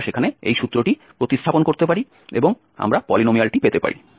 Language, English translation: Bengali, So, these values we can substitute now in this formula and we can get the polynomial